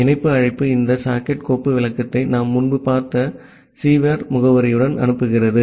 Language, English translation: Tamil, So, the connect call it sends this socket file descriptor along with the sever address that we have seen earlier